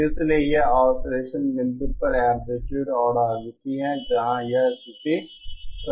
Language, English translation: Hindi, So this is the amplitude and frequency at the oscillation point where there is a where this condition this condition is satisfied